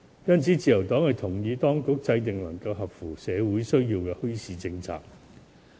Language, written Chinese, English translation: Cantonese, 因此，自由黨認同當局制訂切合社會需要的墟市政策。, Thus the Liberal Party supports the authorities in formulating a policy on bazaars which can meet the demands of society